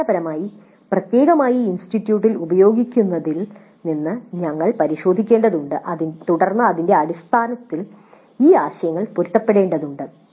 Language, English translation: Malayalam, So basically we'll have to look into the specific form that is being used at the institute and then based on that we have to adapt, fine tune these ideas